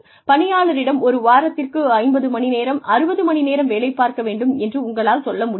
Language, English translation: Tamil, You cannot, ask an employee to work for, say 50 hours, 60 hours a week, for a full year